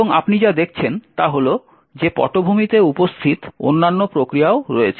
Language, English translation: Bengali, And also, what you see is that there are other processes present in the background